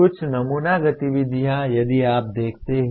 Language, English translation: Hindi, Some sample activities if you look at